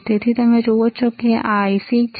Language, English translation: Gujarati, So, you see this is the IC